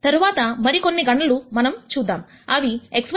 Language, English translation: Telugu, After some more calculations you will see that x 1 equal to 1 x 2 equal to 2